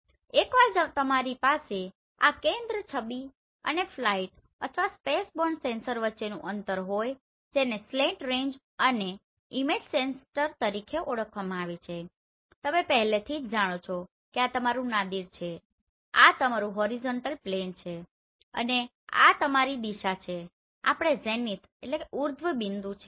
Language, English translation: Gujarati, And once you have this center the distance between the center of the image and the flight or the spaceborne sensor that is referred as slant range and image center already you know this is your Nadir this is your horizontal plane and this is the direction of your zenith